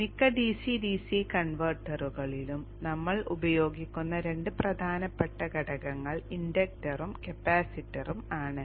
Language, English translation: Malayalam, Two very important components that we will use in most DCDC converters are the inductor and the capacitor